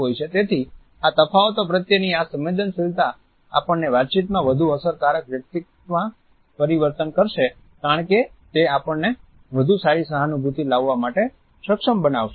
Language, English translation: Gujarati, So, this sensitivity to these differences would make us more observant of the behavior of other people and would turn us into a more effective person in our communication because it would enable us to have a better empathy